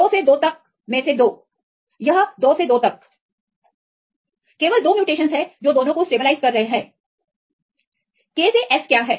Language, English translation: Hindi, 2 out of 2 by 2, this 2 by 2, the only 2 mutations stabilizing both of them are stabilizing